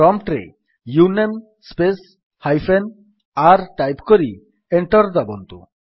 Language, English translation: Odia, Type at the prompt: uname space hyphen r and press Enter